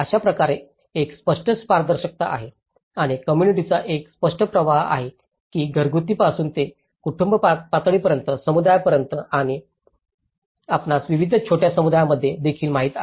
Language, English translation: Marathi, In that way, there is a clear transparency and there is a clear the flow pattern of the communication from starting from a household to group of households to the community level and also, you know across various smaller communities